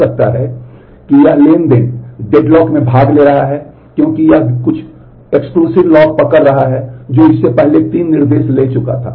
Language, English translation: Hindi, Maybe this is this transaction is participating in the deadlock, because it is holding some exclusive lock which it took three instructions before